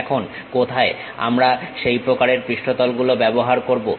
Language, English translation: Bengali, Now, where do we use such kind of surfaces